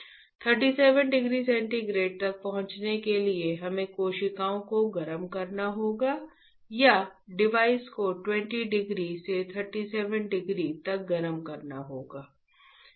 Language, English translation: Hindi, To reach 37 degree centigrade, we have to heat the cells or heat the device from 20 degree to 37 degree; you got it